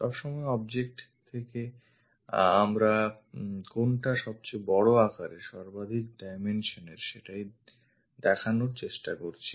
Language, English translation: Bengali, All the time from the object we are trying to visualize what is the maximum size, maximum dimensions from there